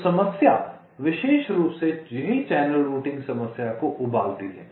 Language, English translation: Hindi, so the problem boils down specifically to the channel routing problem here, right